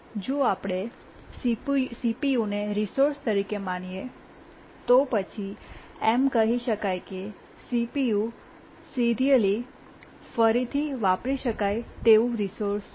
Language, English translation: Gujarati, If we consider CPU as a resource, we can say that CPU is a serially reusable resource